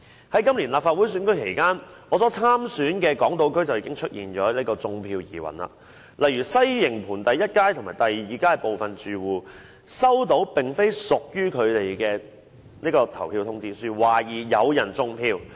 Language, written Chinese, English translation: Cantonese, 在今年立法會選舉期間，我所參選的港島區出現"種票"疑雲，例如西營盤第一街和第二街的部分住戶接獲並非屬於他們的投票通知書，懷疑有人"種票"。, During the Legislative Council Election this year there were suspected vote - rigging cases in my contesting Hong Kong Island constituency . For instance some households in First Street and Second Street of Sai Ying Pun have received election notices which did not belong to them and vote - rigging was suspected